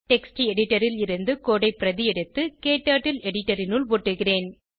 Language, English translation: Tamil, Let me copy the code from the text editor and paste it into KTurtle editor